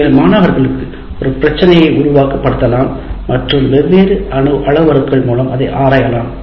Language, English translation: Tamil, And also you can make students simulate a problem and explore the behavior of the system with different parameters